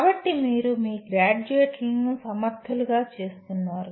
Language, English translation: Telugu, So you are making the your graduates capable